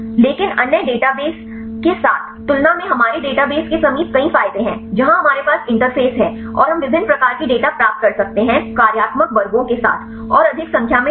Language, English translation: Hindi, But compared with the other databases our database Proximate has several advantages where we have the interface and we can get different types of data with the functional classes and more number of data